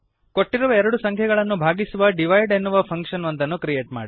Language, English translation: Kannada, And Create a function divide which divides two given numbers